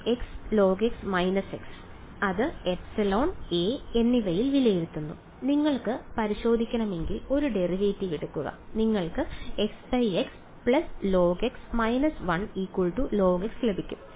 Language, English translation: Malayalam, X log x minus x ok, evaluate it at epsilon and a right, if you want to check just take a derivative you will get x into 1 by x plus log x minus 1, so, that is log x